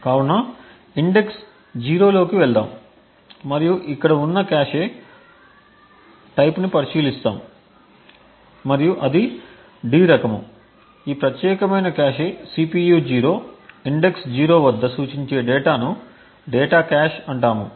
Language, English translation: Telugu, So will go into index 0 and we will look at the type of cache which is present over here and the type is D, data which indicates that this particular cache represented at CPU 0 index 0 is a data cache